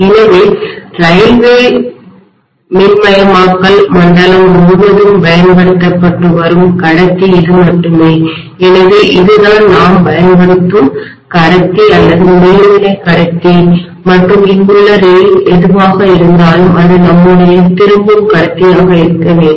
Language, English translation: Tamil, So this is only conductor that is being used throughout the railway electrification zone, so this is the conductor or overhead conductor that we use and whatever is the rail here that is supposed to be our return conductor